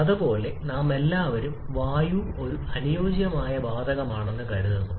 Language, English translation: Malayalam, Similarly, we are all assuming air to be an ideal gas